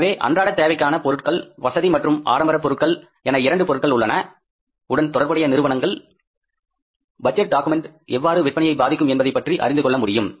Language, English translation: Tamil, So, it means the firms who are into different products, all necessities, comforts and luxuries, they can easily find out that how the budget document is going to impact their sales